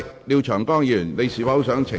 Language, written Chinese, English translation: Cantonese, 廖長江議員，你是否想澄清？, Mr Martin LIAO do you want to clarify?